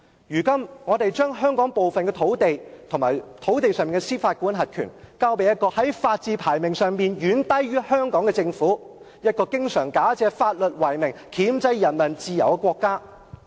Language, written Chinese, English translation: Cantonese, 如今我們將香港部分土地及土地上的司法管轄權，交予一個在法治排名上遠低於香港、經常假借法律為名，箝制人民自由的國家。, Now that we hand over part of Hong Kongs land and its jurisdiction to a country which ranks much below us in terms of the rule of law and which very often curtails peoples freedom in the name of law